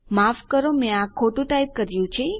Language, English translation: Gujarati, Sorry I have typed this completely wrong